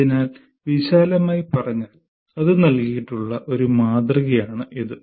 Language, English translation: Malayalam, So broadly, that is a model that has been given